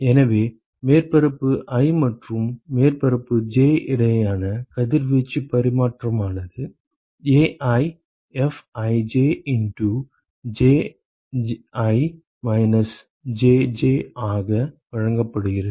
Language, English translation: Tamil, So, radiation exchange between surface i and surface j is given by is AiFij into Ji minus Jj ok